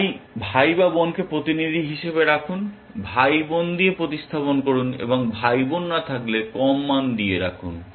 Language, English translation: Bengali, So, keep the sibling as a representative, replace with sibling and with a lower value, if there is no sibling